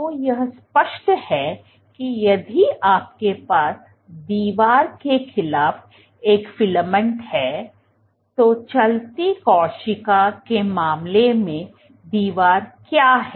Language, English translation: Hindi, So, it is obvious that if you have a filament against the wall so, what is the wall in case of a moving cell